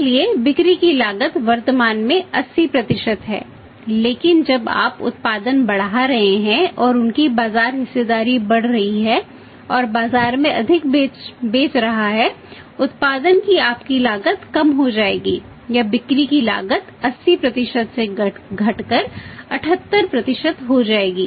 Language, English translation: Hindi, So, the cost of sales is 80% currently but when you are increasing the production and increasing their market share and selling more in the market your cost of production will go down or cost of sales will go down from 80% to 78%